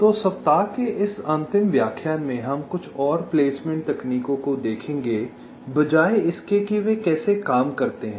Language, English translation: Hindi, so in this last lecture of the week we shall be looking at some more placement techniques instead of how they work